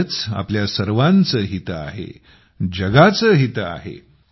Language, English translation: Marathi, In this lies the interests of all of us ; interests of the world